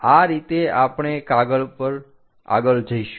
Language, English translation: Gujarati, This is the way we go ahead